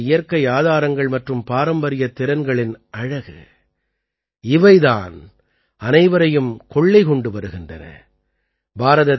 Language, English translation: Tamil, This is the very quality of our natural resources and traditional skills, which is being liked by everyone